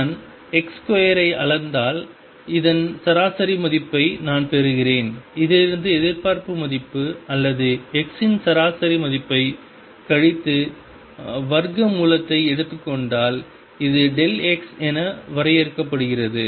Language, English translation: Tamil, And if I measure x square I get an average value of that if I subtract expectation value or average value of x from this and take square root, this is defined as delta x